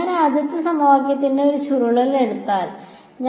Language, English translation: Malayalam, If I take a curl of the first equation right